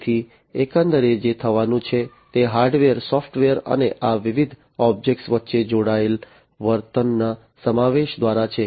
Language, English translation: Gujarati, So, in overall what is going to happen is through the incorporation of hardware, software, and the connected behavior between these different objects